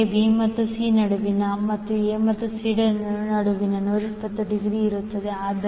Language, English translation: Kannada, Similarly, between B and C and between A and C will be also 120 degree